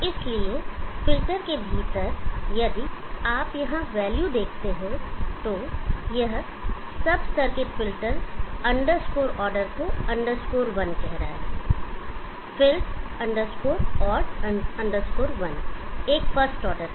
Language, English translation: Hindi, So within the filter if you see the value here it is calling the sub circuit felt underscore order underscore one is a first order